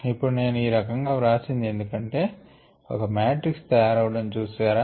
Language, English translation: Telugu, so now, the reason for me writing at this way is that can you see a matrix evolving here